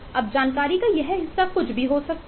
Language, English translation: Hindi, now, this chunk of information could be anything